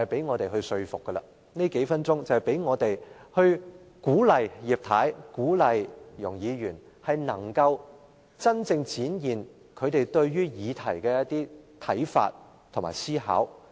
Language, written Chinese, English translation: Cantonese, 我希望藉這數分鐘發言，嘗試說服及鼓勵葉太和容議員，提出她們對議題的真正看法和思考。, I hope to spend a few minutes in an attempt to persuade Mrs IP and Ms YUNG to put forward their genuine views and thoughts on this issue